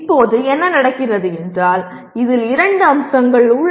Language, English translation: Tamil, Now what happens, there are two aspects in this